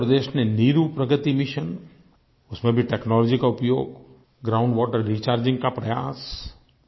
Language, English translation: Hindi, In Andhra Pradesh, 'Neeru Pragati Mission' has been using technology for ground water recharging